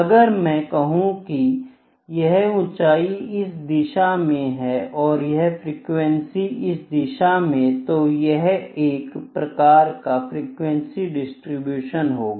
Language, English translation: Hindi, Let me say if this is again height, height in this direction and we having frequency in this direction is kind of a frequency distribution again, ok